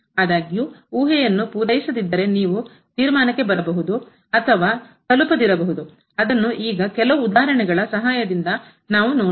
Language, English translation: Kannada, However, if the hypothesis are not met then you may or may not reach the conclusion which we will see with the help of some examples now